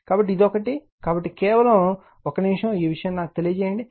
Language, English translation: Telugu, So, this one, so just 1 minute, let me this thing right